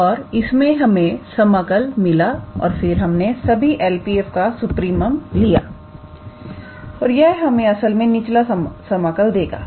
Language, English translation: Hindi, So, that gave us the upper integral and then we took the supremum of for all L P f then that gave us actually the lower integral